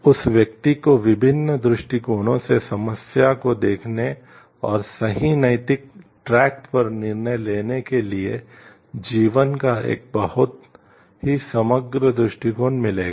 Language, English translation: Hindi, That person will get a very holistic outlook of life to look at the problem from various perspectives and take a decision which is on the right ethical track